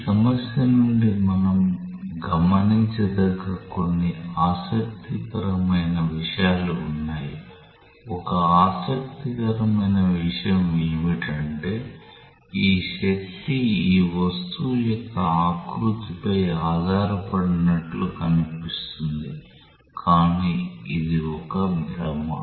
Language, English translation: Telugu, There are certain interesting things that we can observe from this problem one interesting thing is, it appears as if this force does not depend on the shape of this object, but that is an illusion